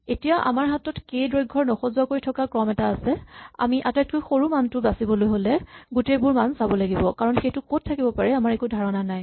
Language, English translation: Assamese, Now we have an unsorted sequence of values of length k, we have to look at all them to find the minimum value, because we have no idea where it is